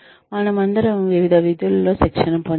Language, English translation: Telugu, We are all trained in various functions